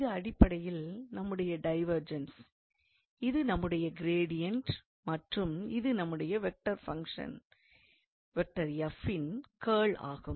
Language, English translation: Tamil, And this is basically divergence this is our divergence, and this is our gradient, and this one is actually our curl of a vector function f